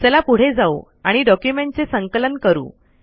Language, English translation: Marathi, So now lets proceed to compile our document